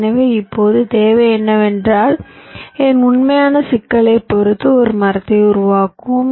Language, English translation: Tamil, so now the requirement is that let us construct a tree, depending on my actual problem at hand